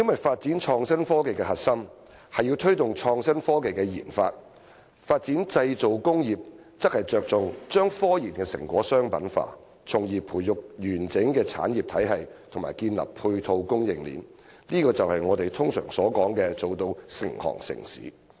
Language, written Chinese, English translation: Cantonese, 發展創新科技的核心是要推動創新科技的研發；而發展製造工業則着重將科研成果商品化，從而培育完整的產業體系和建立配套供應鏈，這就是我們通常所說的做到"成行成市"。, What lies at the heart of IT development is the promotion of the research and development of IT; whereas the development of the manufacturing industry is focused on the commercialization of scientific research results with a view to developing a complete system of industries and establishing a supply chain of ancillary services and this is what we usually refer to as the clustering effect